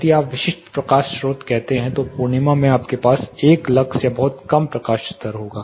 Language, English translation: Hindi, If you say typical light sources full moon you will have close to one lux or pretty low light level